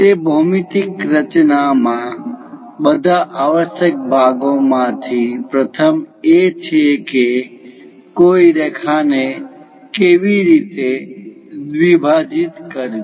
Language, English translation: Gujarati, In that geometric constructions, the first of all essential parts are how to bisect a line